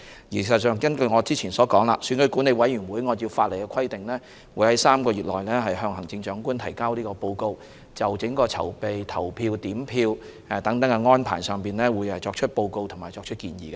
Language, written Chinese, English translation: Cantonese, 事實上，根據我先前所說，選舉管理委員會會按照法例的規定，在3個月內向行政長官提交報告，就整個選舉的籌備、投票、點票等安排作出報告和建議。, In fact as I have stated previously the Electoral Affairs Commission will submit a report to the Chief Executive within three months in accordance with the statutory requirements on the overall arrangements of the entire election such as organization voting and vote counting and make recommendations accordingly